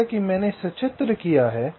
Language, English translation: Hindi, the same thing as i have illustrated